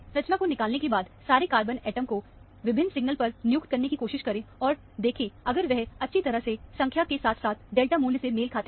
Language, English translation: Hindi, After the structure is deduced, try to assign all the carbon atoms to various signals, and see, if they match well in number, as well as the delta value